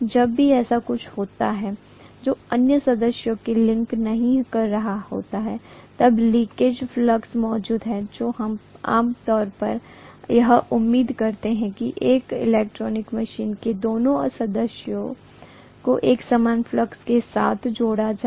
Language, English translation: Hindi, So leakage flux is present whenever there is something which is not linking the other member, we generally expect that both members of an electrical machine should be linked with a common flux